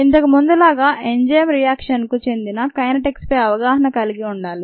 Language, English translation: Telugu, and, as before, we need to have ah good understanding of the kinetics of the enzyme reaction